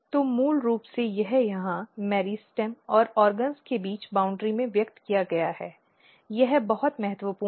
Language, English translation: Hindi, So, basically this is expressed here in the boundary between meristem and the organs this is very important